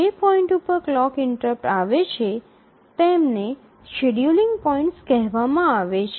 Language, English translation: Gujarati, So, these are these points at which the clock interrupts come, these are called as the scheduling points